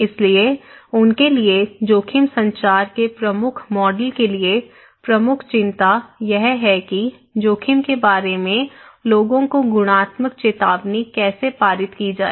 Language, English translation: Hindi, So, for them the dominant model of risk communications for them, the major concern is how to pass qualitative informations to the people about risk